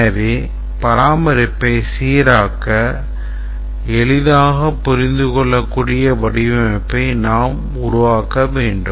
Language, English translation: Tamil, to facilitate maintenance we have to develop design which is simple to understand code which is simple to understand